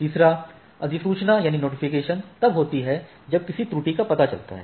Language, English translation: Hindi, Notification this is when a error occurs in is detected